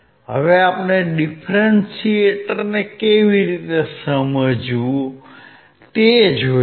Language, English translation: Gujarati, How about we take a differentiator